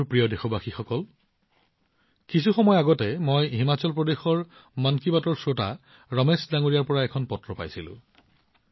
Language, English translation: Assamese, My dear countrymen, sometime back, I received a letter from Ramesh ji, a listener of 'Mann Ki Baat' from Himachal Pradesh